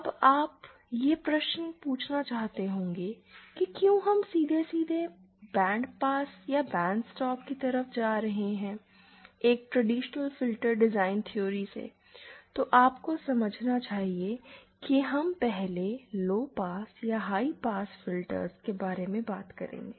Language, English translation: Hindi, Then you might ask why are we directly going to bandpass or bandstop, from traditional filter theory, we should 1st discussed about lowpass and high pass filters